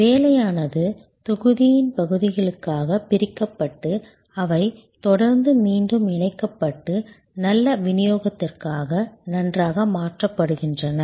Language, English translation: Tamil, The work is broken up into constituent’s parts and they are continually then reassembled and fine tuned for good delivery